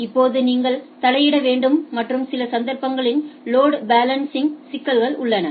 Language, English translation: Tamil, Then you need to intervene right and in some cases there are issues of load balancing right